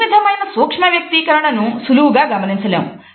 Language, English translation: Telugu, This type of micro expression is not easily observable